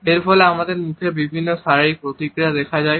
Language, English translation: Bengali, It results into various physical responses on our face